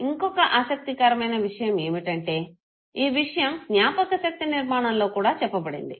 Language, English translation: Telugu, Another interesting thing that is also talked about in memory is memory construction